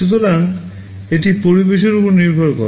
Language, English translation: Bengali, So, it depends on the environment